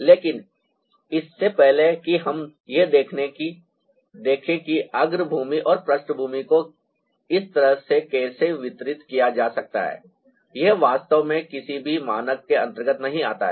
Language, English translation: Hindi, but before that let's see how foreground and background can also ah be distributed in such a manner that it doesn't really fall under ah any nom